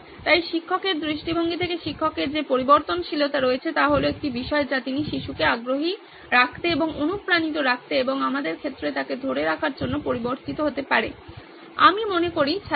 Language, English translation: Bengali, So that’s the variable the teacher has from a teacher’s point of view it was one thing that she can vary to keep the child interested and keep motivated and make him or her retain in our case it’s him I guess the student